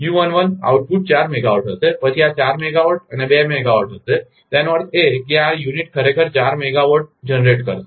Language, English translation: Gujarati, u11 output will be four megawatt, then four megawatt and two megawatt; that means, this unit actually will generate four megawatt